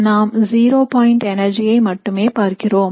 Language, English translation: Tamil, We are only looking at this, which is the zero point energy